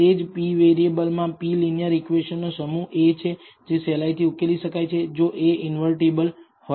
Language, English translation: Gujarati, It is a set of linear equations p equations in p variables which can be easily solved if a is invertible